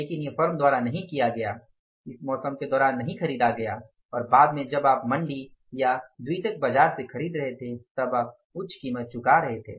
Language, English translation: Hindi, It was not purchased during the season and later when you are buying from the Monday or the secondary market, then you are paying the higher price